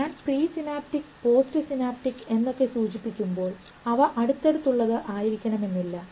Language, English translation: Malayalam, So, also when I am saying it that pre synaptic post synaptic, it does not mean they have to be in close vicinity